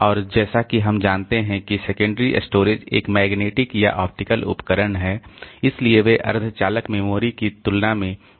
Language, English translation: Hindi, And as we know that secondary storage being a magnetic or optical device, so they are much much slower compared to semiconductor memory